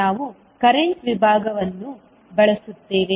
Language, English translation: Kannada, We will use the current division